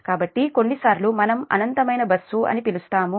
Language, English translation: Telugu, so that is the sometimes we call what is infinite bus